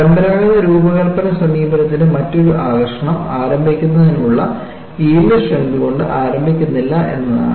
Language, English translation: Malayalam, And one of the other important aspects of conventional design approach is, you do not operate with the yield strength to start with